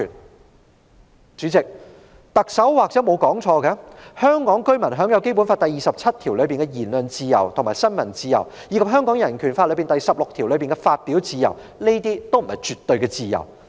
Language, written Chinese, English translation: Cantonese, 代理主席，特首或許沒有說錯，香港居民享有《基本法》第二十七條下的言論自由及新聞自由，以及《香港人權法案條例》第16條下的發表自由，這些均不是絕對的自由。, Deputy President the Chief Executive may be right that Hong Kong residents shall have freedom of speech and of the press under Article 27 of the Basic Law and they also have freedom of expression under Article 16 of the Hong Kong Bill of Rights Ordinance; yet these are not absolute freedoms